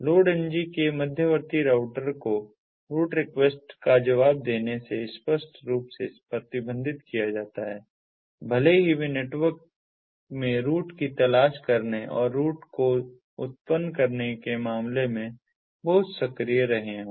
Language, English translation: Hindi, intermediate routers of load ng are explicitly prohibited from responding to the route request, even if they have been very active in terms of seeking routes and generating routes in the network